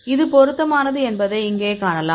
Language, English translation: Tamil, You can see it is fitting here